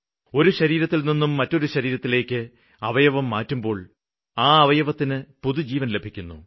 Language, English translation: Malayalam, When an organ moves from one body to another it gets a new life but the person receiving it gets a new lease of life